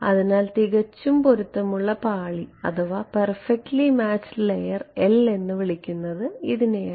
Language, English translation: Malayalam, So, called perfectly matched layer L is for layer